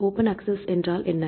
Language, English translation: Tamil, What is the meaning of open access